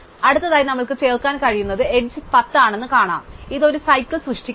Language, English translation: Malayalam, So, next we will see 10 is the next edges that we can add, this does not form a cycle